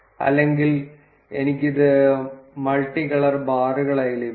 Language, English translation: Malayalam, Or I can have it as multi colored bars